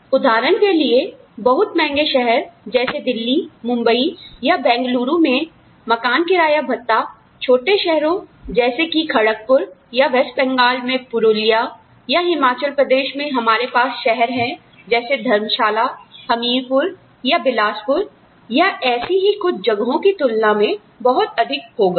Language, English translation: Hindi, So, for example, the house rent allowance, in a very expensive city, like Delhi, or Bombay, Bangalore, would be much higher than, the house rent allowance for a small town, like Kharagpur, or maybe Purulia in West Bengal, or, in Himachal Pradesh we have towns like, Dharamshala, or Hameerpur, or Bilaspur, or, I mean, some such place